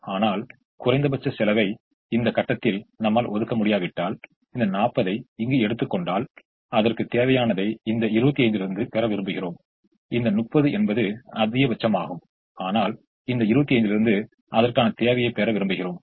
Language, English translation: Tamil, but if we are not able to allocate in the least cost position for example, if we take here this forty maximum we would like to get from this twenty five, this thirty maximum we would like to get from this twenty five